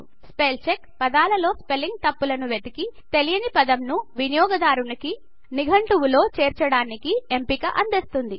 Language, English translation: Telugu, Spellcheck looks for spelling mistakes in words and gives you the option of adding an unknown word to a user dictionary